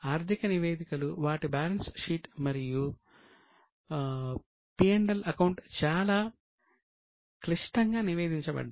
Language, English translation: Telugu, The financial reports, their balance sheet and P&L were extremely complicated